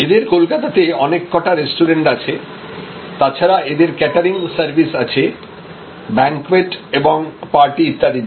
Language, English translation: Bengali, They have number of restaurants, which they run in Calcutta; they also have catering service to serve banquettes and parties and so on